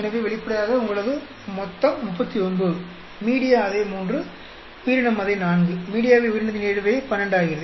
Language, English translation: Tamil, So obviously, your total is 39, media remains same 3, organism remains same 4, organism into media interaction becomes 12